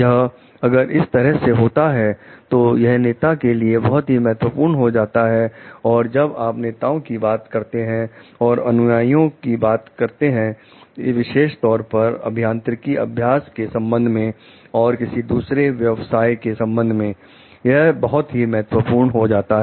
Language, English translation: Hindi, It may so, happen like and this is very important as a leader and like when you talk about leaders and followers specifically with relation to engineering practices and maybe for any other professions